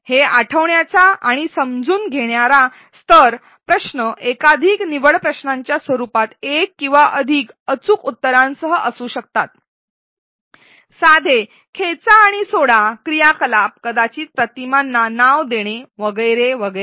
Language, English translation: Marathi, These recall and understand level questions can be in the form of multiple choice questions with one or more correct answer, simple drag and drop activities perhaps annotating images with labels and so on